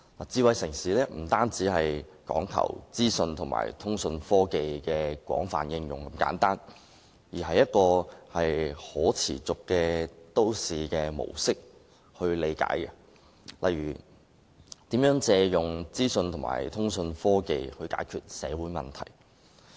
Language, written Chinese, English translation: Cantonese, 智慧城市不單講求資訊和通訊科技的廣泛應用，而且應從可持續都市模式的角度理解，例如如何利用資訊和通訊科技解決社會問題。, A smart city not only emphasizes extensive application of information and communications technology it should also be understood from the perspective of a sustainable city model such as how information and communications technology can be used to address social issues